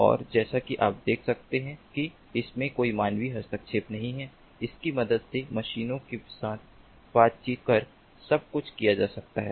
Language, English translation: Hindi, and, as you can see that there is no human intervention at all, everything can be done with the help of machines interacting with machines